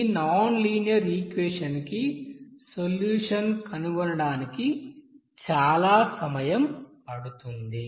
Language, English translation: Telugu, So I think it will be helpful to solve any nonlinear equation based on this method